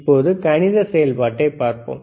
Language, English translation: Tamil, Now let us see the math function